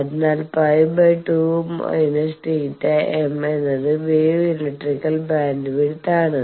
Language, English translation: Malayalam, So, pi by 2 minus theta m is wave electrical bandwidth